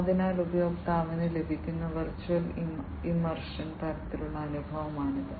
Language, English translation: Malayalam, So, it is a virtual immersion kind of experience that the user gets